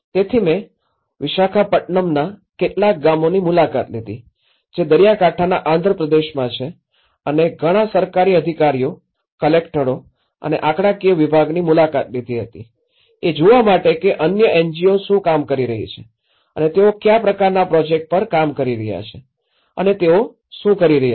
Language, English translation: Gujarati, So, I visited some of the villages in Visakhapatnam which is in the coastal Andhra Pradesh and visited many of the government officials, the collectorates and the statistical department to see what other NGOs are working on and what kind of projects they are doing on and what how the damage statistics have been gathered you know